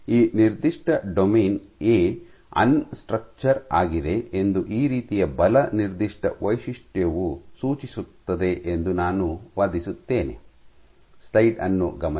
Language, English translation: Kannada, I would argue this kind of a force signature would suggest that this particular domain A is unstructured